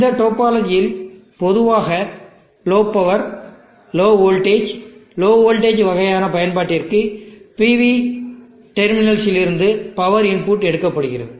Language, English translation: Tamil, This topology where I am taking the power input from the terminals of the PV is generally for low power, low voltage, for low voltage king of an application